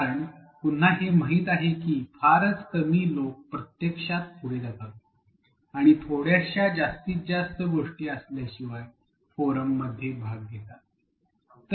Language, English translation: Marathi, Because again what is well known is that very few people actually go ahead and in fact, participate in the forum unless there is something a little extra